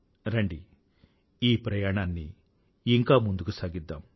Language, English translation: Telugu, Come on, let us take this journey further